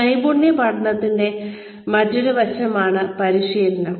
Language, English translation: Malayalam, Practice is another aspect of skill learning